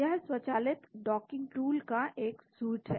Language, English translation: Hindi, This is a suite of automated docking tools